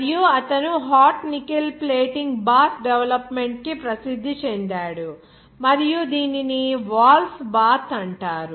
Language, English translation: Telugu, And he is famously known for his development of the hot nickel plating bath and this is known as that “walls bath